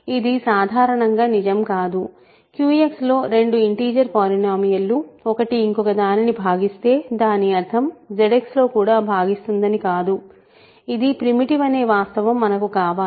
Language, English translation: Telugu, See this is in general not true that if a two integer polynomials have this property that one divides the other in Q X, it does not mean that it divides it in Z X; we need the fact that it is primitive